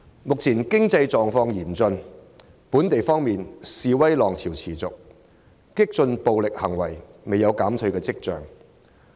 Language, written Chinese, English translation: Cantonese, 目前經濟狀況嚴峻，本地方面，示威浪潮持續，激進暴力行為未見減退跡象。, The current economic condition is dire . On the domestic front the wave of protests persists with radical and violent acts showing no signs of abating